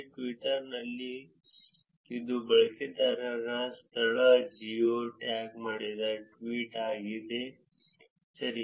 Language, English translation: Kannada, In Twitter, it is the user location geo tagged tweet right